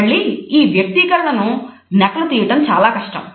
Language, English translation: Telugu, Again, it is very difficult to fake this expression